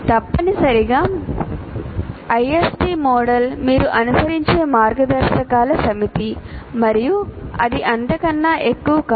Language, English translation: Telugu, So essentially, ISD model is a set of guidelines that you follow